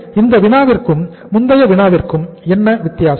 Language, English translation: Tamil, So what is the difference between this problem and the previous problem